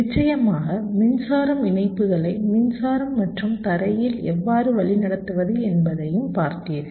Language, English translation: Tamil, and of of course, you also looked at how to route the power supply connections, power and ground